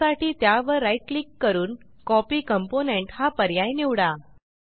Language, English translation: Marathi, To copy a component, right click on the component and choose Copy Component